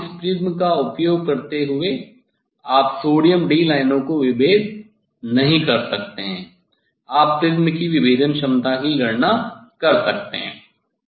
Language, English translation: Hindi, using this prism, you cannot resolve sodium d lines one can estimate the resolving power of the prism